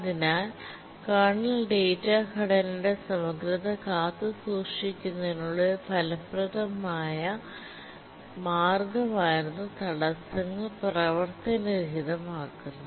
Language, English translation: Malayalam, The main reason is that it is an efficient way to preserve the integrity of the kernel data structure